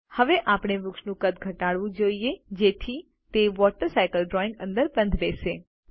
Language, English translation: Gujarati, Now, we should reduce the size of the tree so that it fits in the Water Cycle drawing